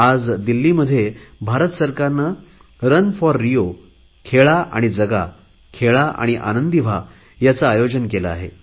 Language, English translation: Marathi, In Delhi this morning, the Government of India had organised a very good event, 'Run for RIO', 'Play and Live', 'Play and Blossom'